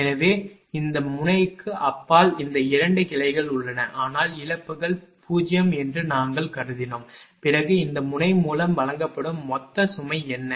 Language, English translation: Tamil, So, beyond this node this 2 branches are there, but we have assumed losses are 0, then what is the total load fed to this node